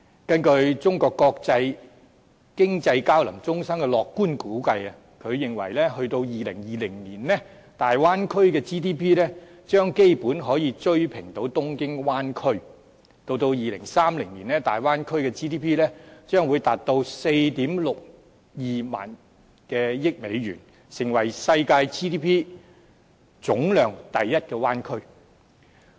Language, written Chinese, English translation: Cantonese, 根據中國國際經濟交流中心的樂觀估計，到2020年，大灣區的 GDP 將基本可以追平東京灣區。到2030年，大灣區的 GDP 將會達到 46,200 億美元，成為世界 GDP 總量第一的灣區。, According to the optimistic estimation of the China Center for International Economic Exchanges by 2020 the GDP of the Bay Area will catch up with Tokyo Bay Area and by 2030 the GDP of the Bay Area will reach US4,620 billion and will be ranked the first in the world among the bay areas